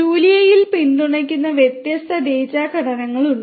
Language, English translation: Malayalam, There are different data structures that are supported in Julia